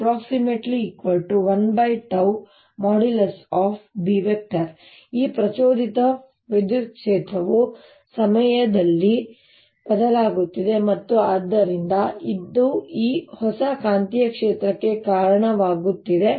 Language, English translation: Kannada, this induced electric field is also changing in time and therefore this gives rise to this new magnetic field